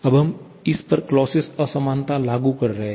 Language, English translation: Hindi, Now, we are applying the Clausius inequality on this